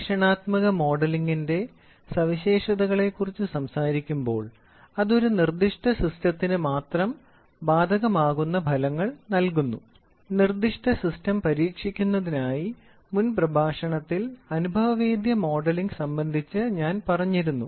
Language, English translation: Malayalam, So, when we talk about features of experimental modelling it is often it often gives the results that apply only to a specific system that is what I said you remember in the previous lecture empirical modelling, for the specific system being tested